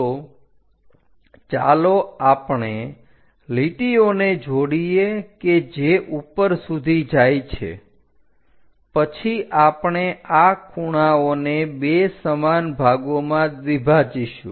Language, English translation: Gujarati, So, let us connect the lines which are going all the way up then we have to bisect this angles into 2 equal parts